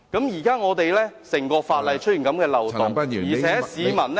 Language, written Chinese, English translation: Cantonese, 現在整項法例出現這個漏洞，而且市民......, Now that there is such a loophole in the whole legislation and the public